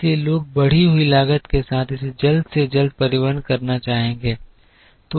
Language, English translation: Hindi, So, people would like to transport it as quickly as possible with increased cost